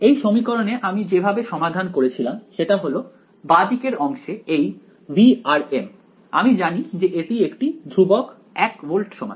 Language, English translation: Bengali, And in this equation the way we solved, it is that the left hand side this V of r m we know it to be fixed at 1 volt that was given right